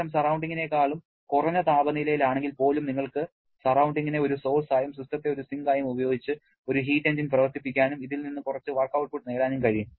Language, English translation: Malayalam, Even when the system is at a temperature lower than the surrounding, then you can run a heat engine using the surrounding as a source and the system as the sink and get some work output from this